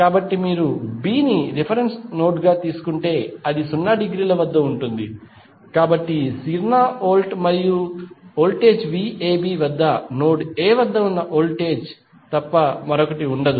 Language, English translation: Telugu, So, if you take B as a reference node then it is potential can be at 0 degree, so at 0 volt and voltage V AB is nothing but simply voltage at node A